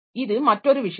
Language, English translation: Tamil, So, this is another thing